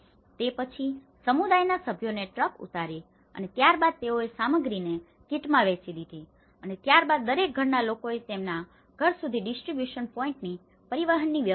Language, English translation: Gujarati, Then, the community members offload the truck and then they divided the materials into kits and each household then arranged the transportation from the distribution point to their home